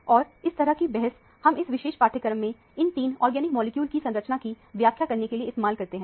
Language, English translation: Hindi, And, this is a kind of argument that we used for elucidation of the structure of these three organic molecules in this particular module